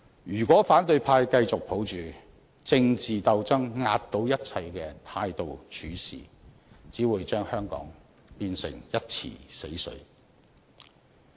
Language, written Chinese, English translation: Cantonese, 如果反對派繼續抱着政治鬥爭壓倒一切的態度處事，只會把香港變成一池死水。, If the opposition camp still adopts the attitude of political struggle surpassing everything the development of Hong Kong will be stagnant